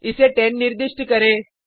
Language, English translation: Hindi, Assign 10 to it